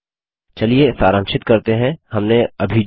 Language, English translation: Hindi, Let us summarize what we just said